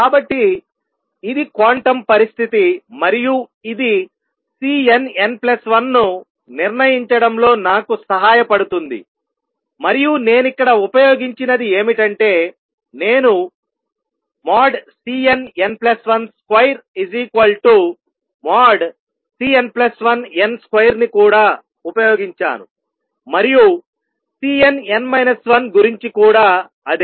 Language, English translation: Telugu, So, this is the quantum condition and this can help me determine C n, C n plus 1 and what I have used here I have also used that C n n plus 1 mod square is same as mod C n plus 1 n mod square and same thing about C n n minus 1